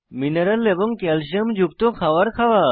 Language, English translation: Bengali, Eating food rich in mineral and calcium